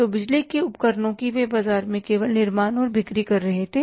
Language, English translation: Hindi, So, power equipments they were only manufacturing and selling in the market